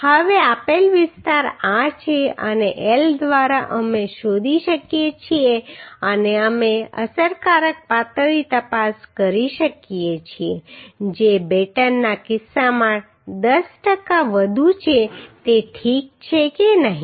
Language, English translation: Gujarati, Now area provided is this and L by rz we can find out and we can check the effective slenderness which is 10 per cent more in case of batten is ok or not